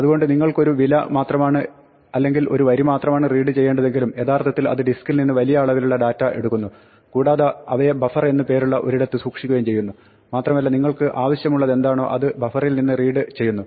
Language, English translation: Malayalam, So, even if you want to read only one value or only one line it will actually a fetch large volume of data from the disk and store it in what is called a buffer and then you read whatever you need from the buffer